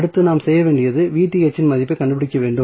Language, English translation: Tamil, So, next what we have to do we have to find out the value of Vth